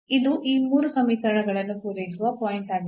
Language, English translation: Kannada, This is the point which is which satisfies all these 3 equations